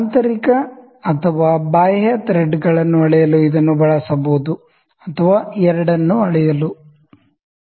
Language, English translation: Kannada, It may be used to measure the internal or external threads, both whatever we desire